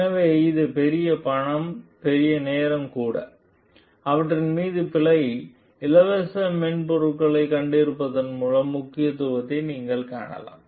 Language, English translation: Tamil, So, it is huge money, huge time also and you can see the importance of having a error free software over them